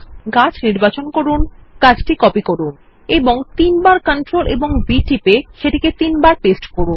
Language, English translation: Bengali, Select the tree and ctrl and C to copy Ctrl and V three times to paste